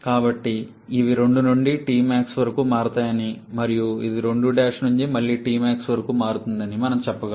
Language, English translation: Telugu, So, we can say that these varies from 2 to T Max and this one varies from 2 prime to again to T max